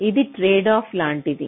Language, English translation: Telugu, this is like a tradeoff